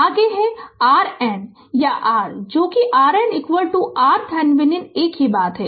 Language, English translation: Hindi, Next that R N or R that R Norton is equal to your R Thevenin same thing